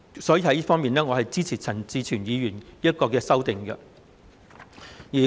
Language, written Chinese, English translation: Cantonese, 因此，我支持陳志全議員這項修正案。, Hence I support this amendment proposed by Mr CHAN Chi - chuen